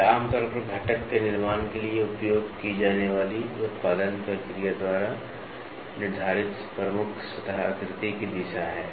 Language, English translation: Hindi, It is the direction of the predominant surface pattern ordinarily determined by the production process used for manufacturing the component